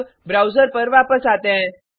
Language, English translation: Hindi, Now, switch back to the browser